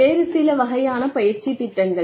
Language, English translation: Tamil, That is another type of training program